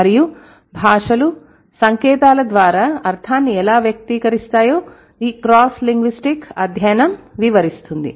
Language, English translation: Telugu, And this cross linguistic study deals with how languages express meaning by the way of science